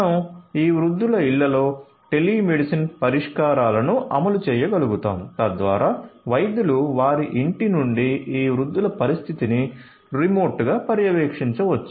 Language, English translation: Telugu, So, you can have you know telemedicine solutions being deployed being implemented in the homes of this elderly persons so that the doctors can remotely monitor the condition of this elderly people from their home